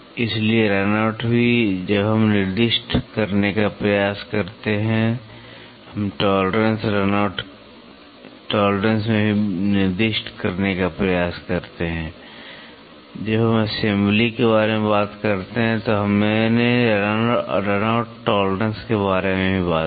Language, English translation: Hindi, So, run out also when we try to specify, we also try to specify in the tolerance run out tolerance also, when we talk about assembly we talked about run out tolerance also